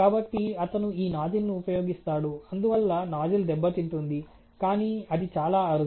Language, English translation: Telugu, So, he uses this nuzzle and that creates damage on the nuzzle, but that is very rare ok